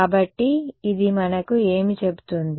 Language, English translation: Telugu, So, what does this tell us